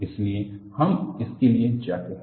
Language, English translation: Hindi, That is why we go in for it